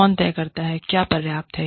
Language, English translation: Hindi, Who decides, what is enough